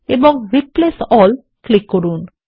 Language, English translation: Bengali, Now click on Replace All